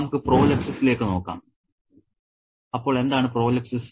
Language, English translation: Malayalam, Let's look at prolapsis